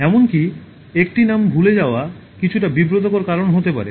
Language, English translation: Bengali, Forgetting even one name can cause some embarrassment